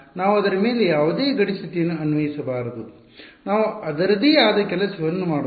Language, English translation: Kannada, So, we should not apply any boundary condition on that, let's do its own thing